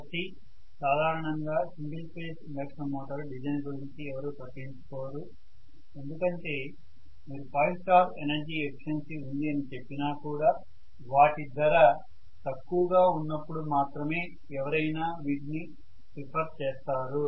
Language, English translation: Telugu, So generally nobody cares about the design of single phase induction motor so much even if you say it has 5 star energy efficiency rating nobody is going to go and fall on it as long as the price is somewhat lower in the other case that is the reason